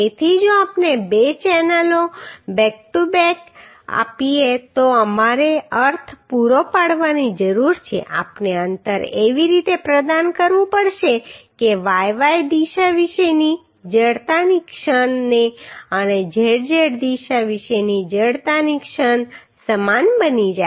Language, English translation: Gujarati, So if we provide two channels back to back then we need to provide means we have to provide the spacing in such a way that the moment of inertia about yy direction and moment of inertia about zz direction becomes same